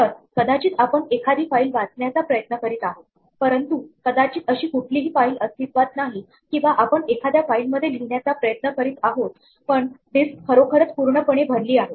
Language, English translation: Marathi, So, we may be trying to read from a file, but perhaps there is no such file or we may be trying to write to a file, but the disc is actually full